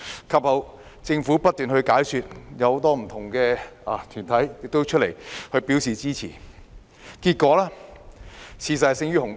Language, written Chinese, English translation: Cantonese, 及後，政府不斷解說，很多不同的團體亦出來表示支持，結果，事實勝於雄辯。, Later on the Government spared no effort to explain the arrangement and many different organizations also came forward to show their support . In the end the facts speak for themselves